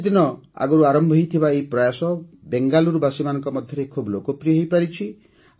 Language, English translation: Odia, This initiative which started a few days ago has become very popular among the people of Bengaluru